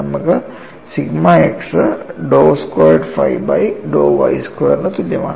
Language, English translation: Malayalam, So, if you take that, you have sigma y as given as dou squared phi by dou x square